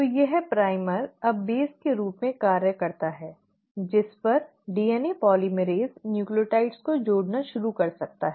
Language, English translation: Hindi, So this primer now acts as the base on which the DNA polymerase can start adding the nucleotides